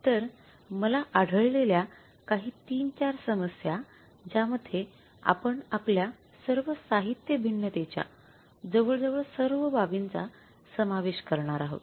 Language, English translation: Marathi, Three, four problems I have found out which are I think covering almost all the aspects of our material variances